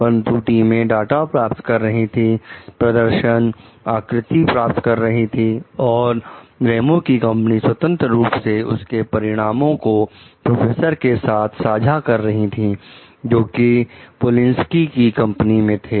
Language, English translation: Hindi, Both teams obtain in data, performance, figures, and Ramos s company freely shares its results with the professors in Polinski s company